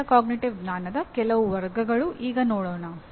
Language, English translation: Kannada, Now some of the categories of metacognitive knowledge